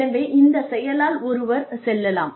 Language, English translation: Tamil, So, one can go through this act